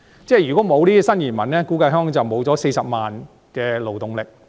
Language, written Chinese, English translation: Cantonese, 如果沒有新移民，估計香港便失去40萬勞動力。, Without new arrivals Hong Kong would have lost 400 000 workers in the labour force